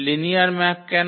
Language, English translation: Bengali, Why linear map